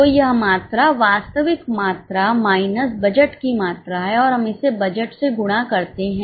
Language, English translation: Hindi, So, it's a comparison of quantity, actual quantity minus budgeted quantity and we multiply it by budgeted price